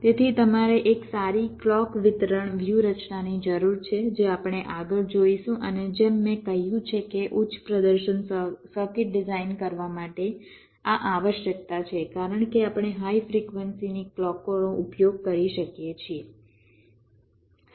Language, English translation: Gujarati, so you need a good clock distribution strategy, which we shall be looking at next, and, as i have said, this is a requirement for designing high performance circuit, because we can use clocks of higher frequencies